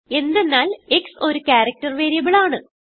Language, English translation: Malayalam, This is because x is a character variable